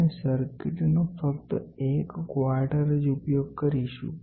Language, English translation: Gujarati, We are trying to use only 1 quarter of the circuit